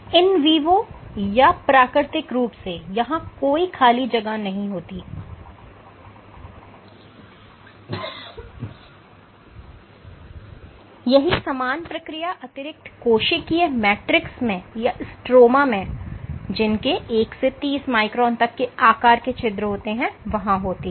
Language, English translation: Hindi, So, in vivo there is no empty space, the same process will happen in the presence of in inside in some ECM or the stroma which has pores of sizes ranging from 1 to 30 microns